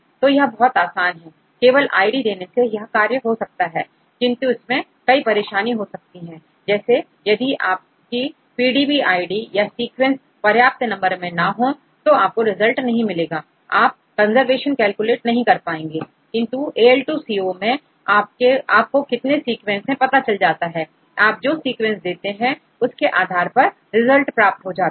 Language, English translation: Hindi, So, it is very simple just to give the id, but there are several issues; if your PDB id or sequence does not have sufficient number of homologous sequences you will you do not get any results it will tell you cannot calculate the conservation, but in the case of AL2CO you know that how many sequences you get depending upon the sequences if you give, you will get the results that is the difference between using different servers